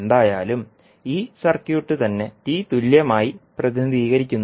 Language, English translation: Malayalam, It means that you can represent this circuit as T equivalent